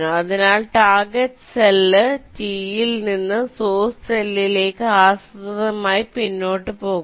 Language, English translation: Malayalam, so from the target cell t, we systematically backtrack towards the source cell